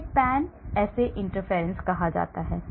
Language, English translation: Hindi, They are called the pan assay interference compounds